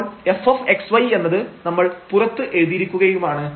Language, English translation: Malayalam, So, that f at x y point we have just written outside